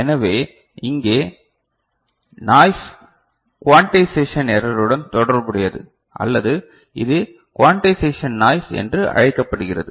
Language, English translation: Tamil, So, noise here is related to quantization error or also it is called quantization noise ok